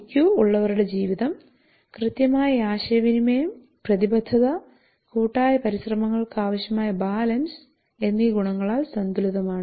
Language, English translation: Malayalam, People with high IQ are well balanced with exact communication commitment and balance that is required for team efforts